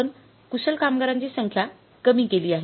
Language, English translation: Marathi, What is a skilled number of workers